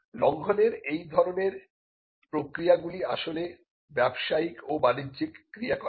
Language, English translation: Bengali, And all the acts of infringement are actually business activities